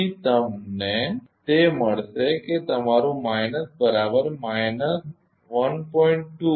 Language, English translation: Gujarati, So, you will get it is your minus is equal to minus 1